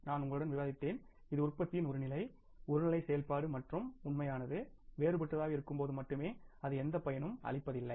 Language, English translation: Tamil, I just discussed with you that this is only for the one level of the production, one level of the activity and when actual is different that it has, means hardly any use